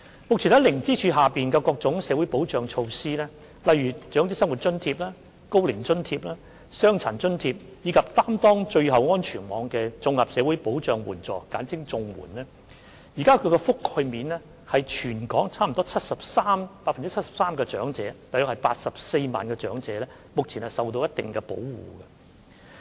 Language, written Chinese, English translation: Cantonese, 目前，在零支柱下有各種社會保障措施，包括長者生活津貼、高齡津貼、傷殘津貼，以及擔當最後安全網的綜合社會保障援助，現時的覆蓋面已達全港約 73% 的長者，即有約84萬名長者目前受到一定保障。, Currently there are various types of social security benefits under the zero pillar including Old Age Living Allowance Old Age Allowance Disability Allowance and Comprehensive Social Security Assistance that serves as the last safety net covering about 73 % of elderly people in Hong Kong meaning that around 840 000 elderly people now receive a certain level of protection